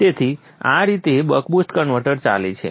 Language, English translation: Gujarati, So this is how the buck boost converter operates